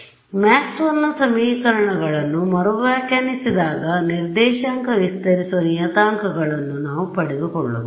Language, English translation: Kannada, Now, if you remember when we had redefined our Maxwell’s equations we had got these coordinate stretching parameters